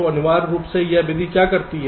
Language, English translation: Hindi, so essentially what this method does